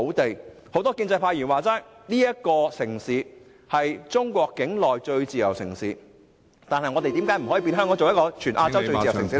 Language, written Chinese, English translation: Cantonese, 正如很多建制派議員所說，香港是中國境內最自由的城市，但我們為何不可以把香港......, As many pro - establishment Members put it Hong Kong is the freest city in China; but how come we cannot make Hong Kong the freest city in Asia?